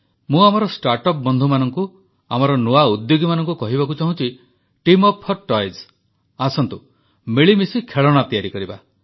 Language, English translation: Odia, To my startup friends, to our new entrepreneurs I say Team up for toys… let us make toys together